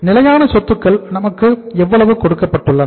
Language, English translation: Tamil, How much is the fixed assets given to us